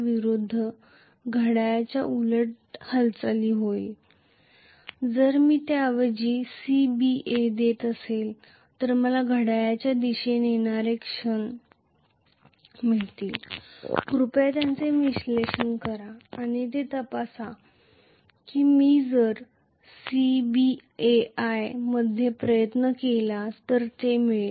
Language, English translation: Marathi, So, if I am going with A B C and then A B C I will get anti clockwise movement if I am giving rather C B A C B A I will get clockwise moment please analyse it and check it out you will get it that B if I tried to do it at C B A I will get clockwise movement